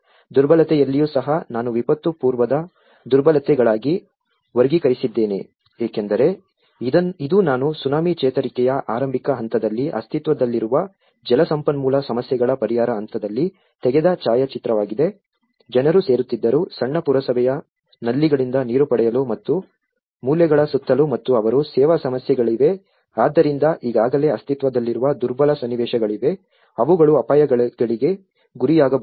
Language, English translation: Kannada, In vulnerability also, I have classified into pre disaster vulnerabilities which are because, This is a photograph which I have taken in the early stage of Tsunami recovery in the relief stage where they have an existing water resources issues, you have, people used to gather, to get water from the small municipal taps and around the corners and they have service issues so, there are already an existing vulnerable situations it could be they are prone to the hazards